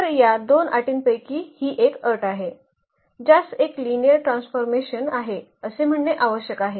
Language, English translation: Marathi, So, that is one conditions for out of these 2 conditions this is one which is required to say that this is a linear transformation